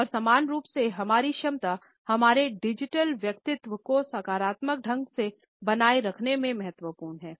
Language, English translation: Hindi, And equally important is our capability to maintain our digital personality in a positive manner